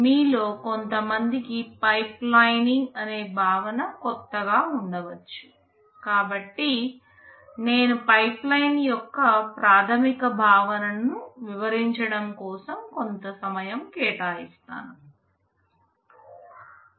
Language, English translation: Telugu, Because the concept of pipelining may be new to some of you, I shall be devoting some time in explaining the basic concept of pipeline